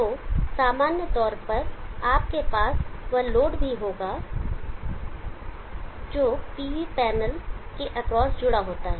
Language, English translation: Hindi, So in general you would also have the load which is connected across the PV panel